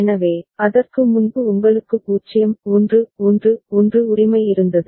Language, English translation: Tamil, So, before that you had 0 1 1 1 right